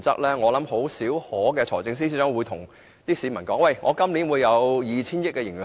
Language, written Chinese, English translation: Cantonese, 財政司司長甚少會告訴市民今年會有 2,000 億元盈餘。, The Financial Secretary seldom tells people that a surplus of 200 billion will be recorded this year